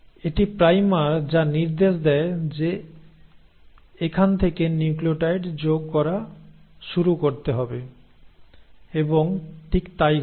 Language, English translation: Bengali, And it is the primer which gives the direction that start adding nucleotides from here and that is exactly what happens